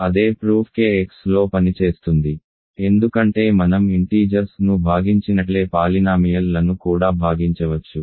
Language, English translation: Telugu, The same the same proof works in k x because we can divide polynomials also just like we can divide integers